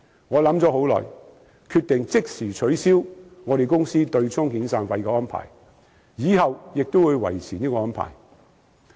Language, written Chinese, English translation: Cantonese, 我想了很久，決定即時取消我公司對沖遣散費的安排，以後也會維持這個做法。, After pondering for a long time I decided to abolish my companys arrangement of offsetting severance payments with immediate effect . This approach will be maintained henceforth